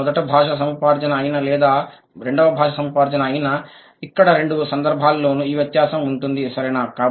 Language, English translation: Telugu, Be it first language acquisition or second language acquisition, this discrepancy has got to be there in both the cases, right